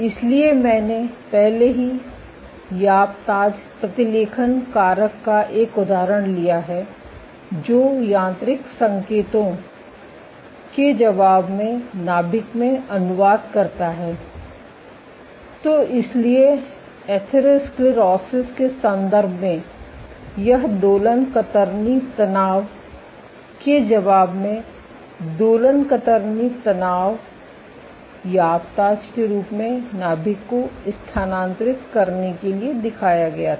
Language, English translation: Hindi, So, I have already taken an example of the YAP/TAZ transcription factor, which translocate to the nucleus in response to mechanical signals; so in the context of atherosclerosis so this is oscillatory shear stress in response to oscillatory shear stress, YAP/TAZ as were shown to translocate to the nucleus